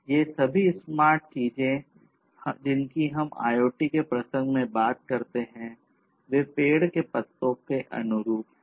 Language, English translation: Hindi, All these smart things that we talk about in the context of IoT; these smart applications, they are analogous to the leaves of a tree